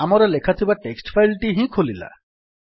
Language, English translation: Odia, our text file is opened with our written text